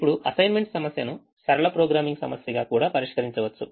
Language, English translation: Telugu, now the assignment problem can also be solved as a linear programming problem